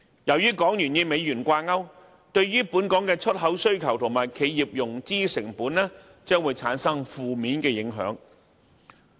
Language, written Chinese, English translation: Cantonese, 由於港元與美元掛鈎，將會對本港的出口需求和企業融資成本產生負面影響。, Hong Kongs export demand and financing costs for enterprises will be adversely affected since the Hong Kong Dollar is pegged to the US dollar